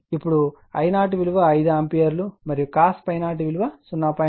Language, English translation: Telugu, Now, I 0 is given 5 ampere and cos phi 0 is 0